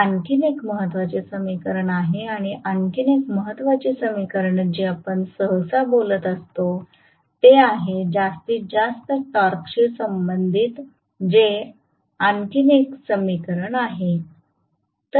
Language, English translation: Marathi, This is another important equation and 1 more important equations which we normally talk about is this and this is another equation corresponding to maximum torque